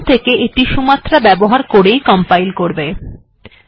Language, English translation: Bengali, Okay, from now on it is going to compile using Sumatra